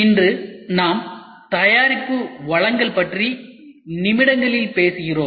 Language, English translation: Tamil, Today we talk about product delivery in minutes